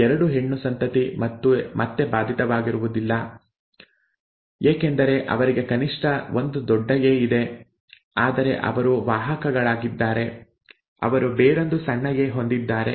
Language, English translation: Kannada, The female offspring, these 2 they are again unaffected because they have at least one capital A, but they are carriers, they have the other small a, right